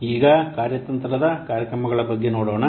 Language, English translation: Kannada, Now, let's see about this strategic programs